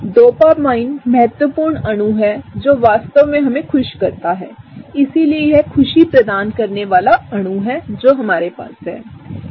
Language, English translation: Hindi, Dopamine is the molecule that really is the key molecule that makes us happy, so this is the happiness molecule we have here